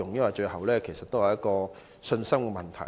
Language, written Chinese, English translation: Cantonese, 說到最後，這也是信心問題。, After all it boils down to the question of confidence